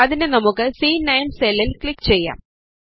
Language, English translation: Malayalam, So lets click on the C9 cell